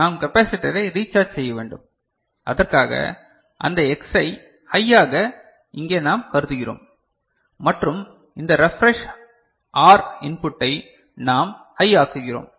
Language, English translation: Tamil, We need to recharge the capacitor, and for which what we consider here this X we make high, right and this refresh R input we make high, right